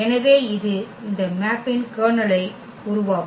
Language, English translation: Tamil, So, this will form the kernel of this mapping